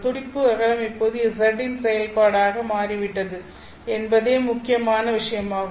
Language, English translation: Tamil, The point here is the pulse width has now become a function of z